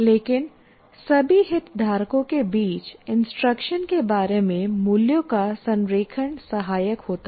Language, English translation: Hindi, But an alignment of values about instruction across all stakeholders is helpful